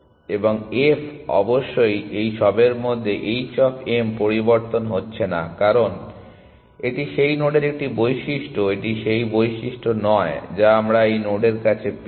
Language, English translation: Bengali, And f of course, becomes in all these h of m is not changing at all because, it is just a property of that node, it is not the property of that what path we have found to this node